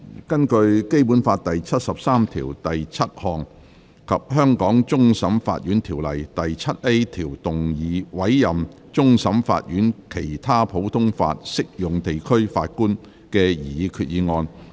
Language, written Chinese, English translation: Cantonese, 根據《基本法》第七十三條第七項及《香港終審法院條例》第 7A 條動議委任終審法院的其他普通法適用地區法官的擬議決議案。, Proposed resolution under Article 737 of the Basic Law and section 7A of the Hong Kong Court of Final Appeal Ordinance on appointment of a judge from another common law jurisdiction of the Court of Final Appeal